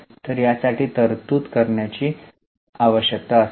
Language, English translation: Marathi, So, there will be a need to create a provision for this